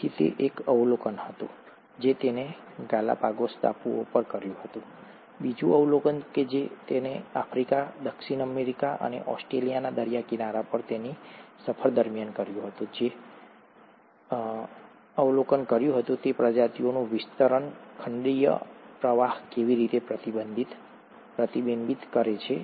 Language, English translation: Gujarati, So that was one observation that he made on the Galapagos Islands, the other observation that he made during his voyage across these coastlines of Africa, Southern America, and Australia, was that he observed that the distribution of these species was mirroring how the continental drift actually happened in the earth’s history